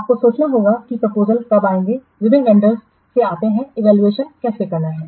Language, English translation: Hindi, You have to think of when the proposals will come from different vendors how to evaluate